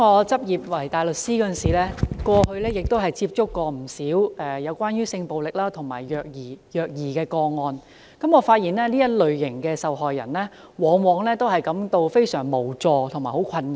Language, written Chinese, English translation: Cantonese, 主席，我過去擔任執業大律師時，也曾接觸不少有關性暴力和虐兒的個案，發現這類受害人往往感到非常無助和困擾。, President I had come across many sexual violence and child abuse cases when I was a practising barrister . It has been noted that victims of such cases were often extremely helpless and emotionally disturbed